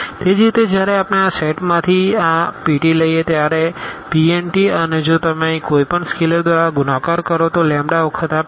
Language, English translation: Gujarati, Similarly when we take this p t from this from this set P n t and if you multiply by any scalar here the lambda times this p t